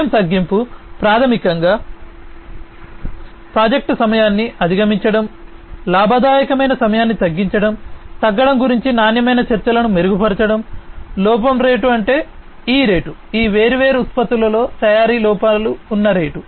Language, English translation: Telugu, Time reduction basically reducing the project time overrun, decreasing the profitable time etcetera; improving quality talks about decreasing the defect rate that means the rate at in which, rate at which the manufacturing defects in these different products are going to be there